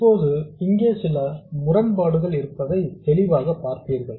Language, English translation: Tamil, Now clearly there is some inconsistency here